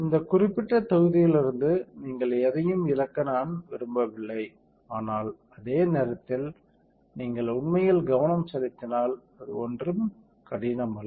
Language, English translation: Tamil, So, I do not want you to miss anything out of this particular module, but at the same time it is not that difficult also if you really focus right